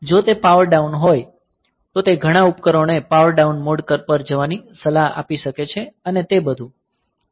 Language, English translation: Gujarati, So, if it is power down may be it can it can advice many devices to go to power down mode and all that